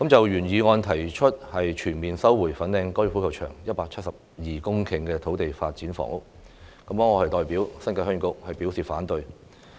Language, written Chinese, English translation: Cantonese, 原議案提出全面收回粉嶺高爾夫球場172公頃土地用作發展房屋，我代表新界鄉議局表示反對。, The original motion proposed to fully resume the 172 - hectare site of the Fanling Golf Course for housing development . On behalf of the Heung Yee Kuk I express objection to this proposal